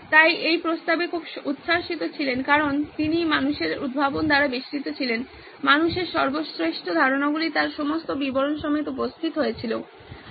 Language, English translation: Bengali, He was very excited at this proposition because he was surrounded by people’s inventions, people's greatest ideas presented in all its detail